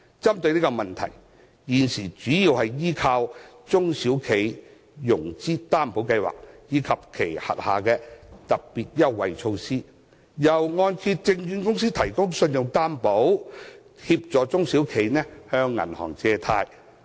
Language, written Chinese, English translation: Cantonese, 針對這個問題，中小企現時主要依靠中小企融資擔保計劃及其轄下的特別優惠措施，由按揭證券公司提供信用擔保，協助它們向銀行借貸。, SMEs now mainly rely on the SME Financing Guarantee Scheme Scheme and its special concessionary measures to tackle this problem . The Scheme helps them to obtain financing from banks with credit guarantee provided by the Hong Kong Mortgage Corporation